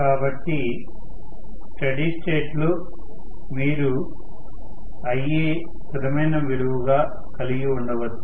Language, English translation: Telugu, So, in steady state you can have Ia as a constant